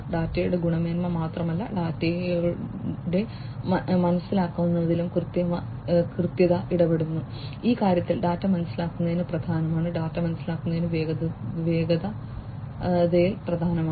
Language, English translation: Malayalam, Veracity deals with the understandability of the data and not just the quality of the data, understanding the data is important in this thing; understanding the data is important in velocity